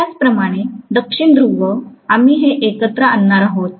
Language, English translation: Marathi, Similarly, South pole, we are going to lump it together